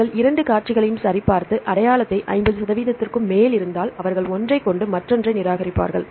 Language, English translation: Tamil, They will check the two sequences and see the identity if it is more than 50 percent they will keep one and discard the other